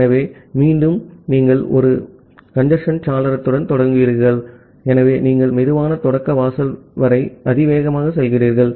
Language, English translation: Tamil, So, again you start with one congestion window, so you go exponentially up to the slow start threshold